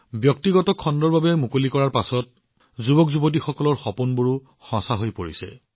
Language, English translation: Assamese, After space was opened to the private sector, these dreams of the youth are also coming true